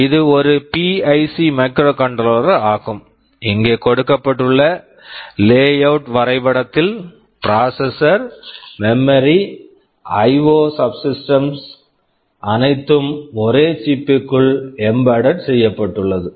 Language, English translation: Tamil, This is a PIC microcontroller, this is a layout diagram where processor, memory, IO subsystems everything is embedded inside the same chip